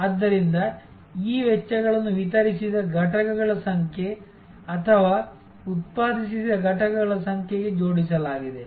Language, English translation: Kannada, So, these costs are linked to the number of units delivered or number of units produced